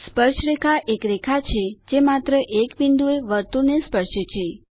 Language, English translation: Gujarati, Tangent is a line that touches a circle at only one point